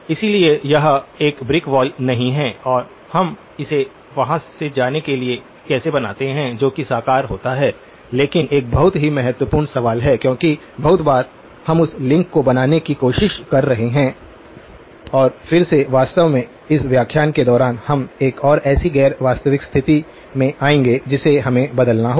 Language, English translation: Hindi, so it is (()) (09:05) the brick wall is not, and how do we make it to go from there to something that is realizable but a very important question because very often, we are trying to make that link and again in fact during the course of this lecture itself, we will come to one more such non realizable condition which we will have to change